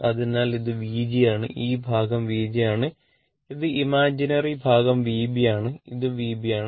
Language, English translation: Malayalam, So, this is my V g so, this portion is V g and this is my imaginary part V b so, this is my V b